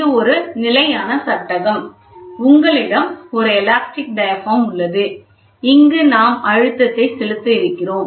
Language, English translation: Tamil, This is a fixed frame, ok, you have an elastic, this is called elastic diaphragm, ok so, here when we apply pressure, ok here can we do that